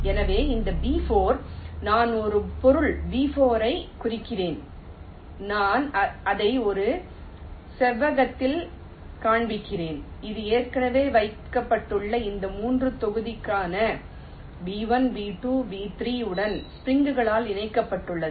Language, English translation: Tamil, ok, so this b four, i am denoting by a body, b four, i am showing it in a rectangle which, as if is connected by springs to these three already placed blocks: b one, b two, b three